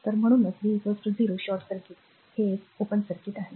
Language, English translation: Marathi, So, that is why v is equal to 0 short circuit, this is an open circuit